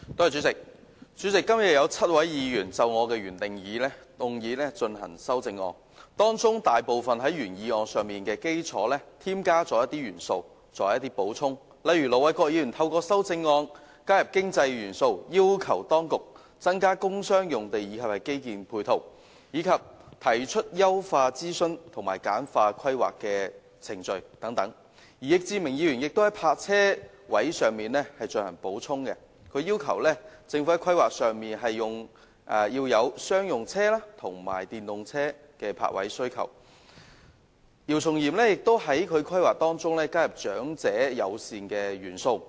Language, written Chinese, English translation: Cantonese, 主席，今天有7位議員就我的原議案提出修正案，大部分都是在原議案的基礎上添加一些元素或補充，例如：盧偉國議員的修正案加入經濟元素，要求當局增加工商用地及基建配套，以及提出優化諮詢制度及簡化規劃程序等；易志明議員就泊車位問題提出修正案，要求政府在規劃上要有商用車及電動車的泊位需求；姚松炎議員則在規劃中加入長者友善的元素。, President seven Members have proposed amendments to my original motion today most of which are additions of some elements or details to the original motion . For example Ir Dr LO Wai - kwok has added economic elements in his amendment urging the authorities to increase the provision of sites and infrastructure support for industrial and commercial industries as well as enhance the consultation system and streamline the planning procedures etc . ; Mr Frankie YICK has proposed an amendment in respect of parking urging the Government to consider the demand for parking spaces for commercial and electric vehicles in planning; Dr YIU Chung - yim meanwhile has included elements in planning which are friendly to the elderly population